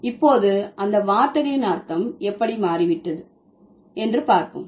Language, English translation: Tamil, So, now let's have a look at it, how the meaning of the words have changed